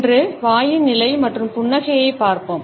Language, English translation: Tamil, Today, we shall look at the positioning of the mouth and a smiles